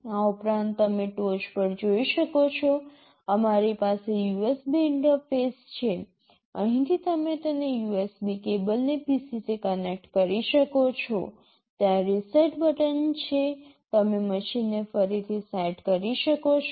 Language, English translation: Gujarati, In addition you can see on top we have the USB interface, from here you can connect the USB cable you can connect it to the PC, there is a reset button sitting here you can reset the machine